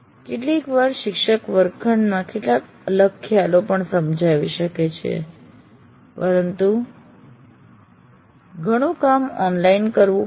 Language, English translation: Gujarati, But sometimes the teacher may also explain some different concepts in the classroom but lot of work will have to be done online